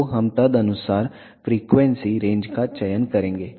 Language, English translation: Hindi, So, we will select the frequency range accordingly